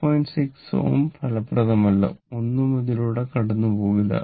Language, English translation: Malayalam, 6 ohm is not effective nothing will go through this